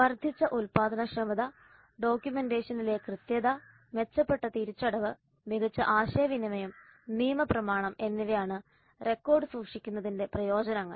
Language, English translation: Malayalam, The benefits of keeping the record are increased productivity, accuracy in documentation, improved reimbursement, better communication and a legal document